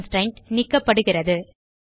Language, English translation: Tamil, The constraint is removed